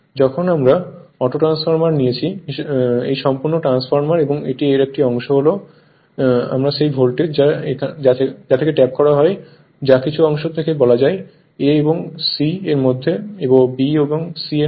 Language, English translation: Bengali, When we are taking as autotransformer, this full transformer and part of this we are that voltage we are tapped from this your what you callfrom some part say between your between A and C that is B and C right